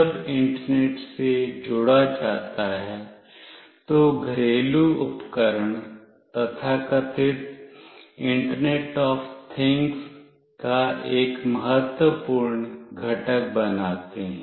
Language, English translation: Hindi, When connected to Internet, the home devices form an important constituent of the so called internet of things